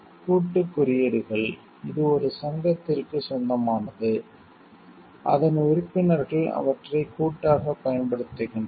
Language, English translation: Tamil, Collective marks, it is owned by an association, whose members use them collectively